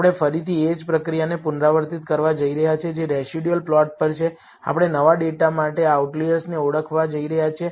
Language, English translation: Gujarati, We are going to repeat the same process again that is on the residual plot, we are going to identify the outliers for the new data